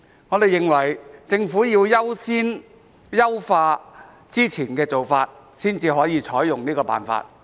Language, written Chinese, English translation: Cantonese, 我們認為，政府必須先優化之前的做法，才可以採用這個辦法。, We think that the Government must enhance the previous approach before adopting this method